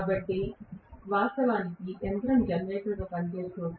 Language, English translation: Telugu, So, if I am having actually the machine working as a generator